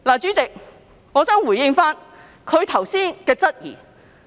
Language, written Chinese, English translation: Cantonese, 主席，我想回應她剛才提出的質疑。, President I wish to respond to the queries she raised just now